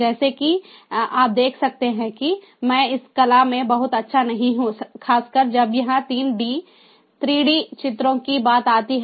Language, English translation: Hindi, i am not, as you can see, i am not very good in these art, particularly when it comes to three d pictures